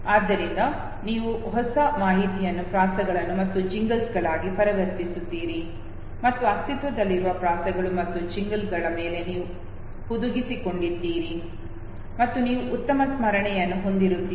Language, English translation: Kannada, So you convert the new information into rhymes and jingles you embedded over the existing rhymes and jingles and you will have a better memory